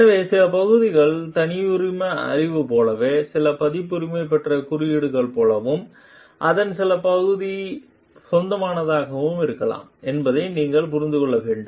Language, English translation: Tamil, So, you need to understand like some part is the proprietary knowledge and some is like copyrighted code and some part of it may be general